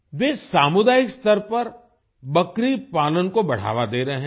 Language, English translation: Hindi, They are promoting goat rearing at the community level